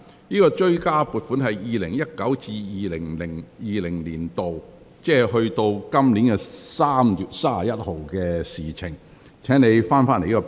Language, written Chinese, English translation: Cantonese, 有關追加撥款關乎 2019-2020 年度，即截至本年3月31日為止的政府服務開支。, The supplementary appropriation is related to expenditure of government services in 2019 - 2020 ie . up to 31 March this year